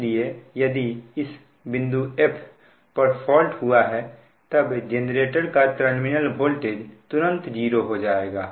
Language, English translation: Hindi, but question is that if your fault has occurred, then immediately the terminal voltage will become zero